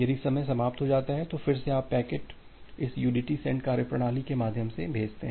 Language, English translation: Hindi, If a timeout occurs, then again you send the packet, you retransmit the packet through this udt send mechanism